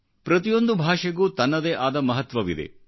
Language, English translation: Kannada, Every language has its own significance, sanctity